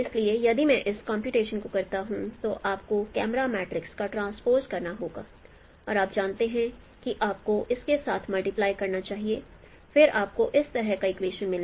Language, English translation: Hindi, So if I perform this computation you have to transpose the camera matrix and no you should multiply with this L then you will get this kind of this is equation, this is the equation of the plane